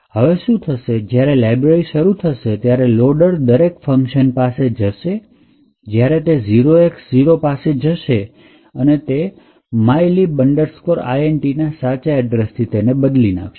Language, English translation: Gujarati, So what is expected is that when this library gets loaded, the loader would pass through each of this functions and wherever there is 0X0 it would replace that with the actual address of mylib int